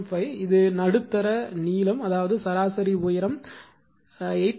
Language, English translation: Tamil, 5 this is the mid length, that is mean height right, 8